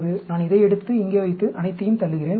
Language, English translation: Tamil, I take this, put it here, and push all of them 1